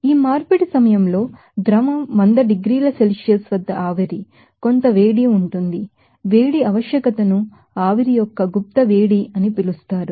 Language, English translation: Telugu, And during this conversion of these are liquid to vapor at 100 degrees Celsius, there will be some heat, you know required that heat requirement is called latent heat of vaporization